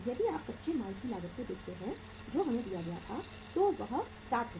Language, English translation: Hindi, If you look at the cost of raw material that was given to us is that is say 60 Rs